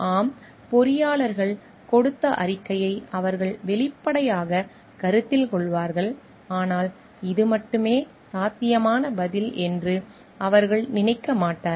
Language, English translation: Tamil, Yes they will obviously like take into consideration the statement given by the engineers, but they will not think this is the only answer possible